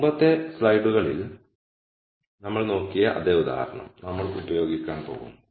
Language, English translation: Malayalam, We are going to use the same example that we had looked at in the previous slides